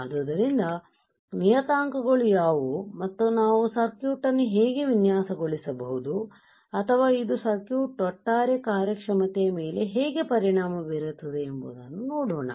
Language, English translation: Kannada, So, let us see how what are the parameters and how we can design the circuit or how this will affect the overall performance of the circuit